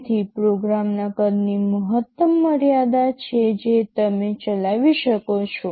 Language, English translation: Gujarati, So, there is a maximum limit to the size of the program that you can run